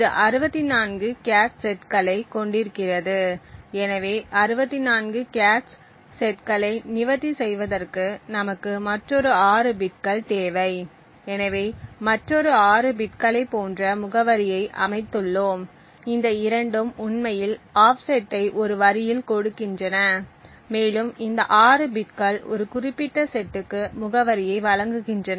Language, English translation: Tamil, It also had 64 cache sets and therefore in order to address 64 cache sets we need another 6 bits and therefore we have set addressing which has like another 6 bits, these 2 actually give the offset with in a line and these 6 bits provide the address for a particular set